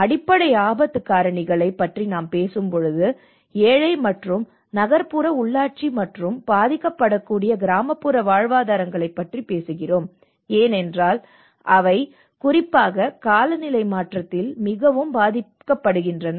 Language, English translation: Tamil, When we talk about underlying risk drivers, we talk about the poor and urban local governance and the vulnerable rural livelihoods because especially with the climate change